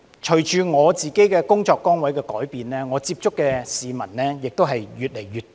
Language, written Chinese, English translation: Cantonese, 隨着我的工作崗位改變，我接觸的市民亦越來越多。, As my position changed I have had contacts with more and more people